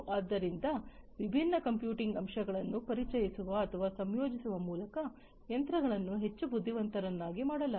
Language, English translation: Kannada, So, machines have been made much more intelligent with the introduction of or integration of different computing elements into it